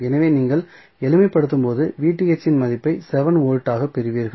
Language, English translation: Tamil, So when you will simplify you will get the value of Vth as 7 volts